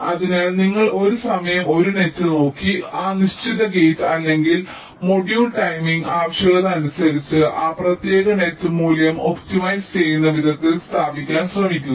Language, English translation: Malayalam, so you look at one net at a time and try to place that particular gate or module in such a way that that particular net value gets optimized in terms of the timing requirement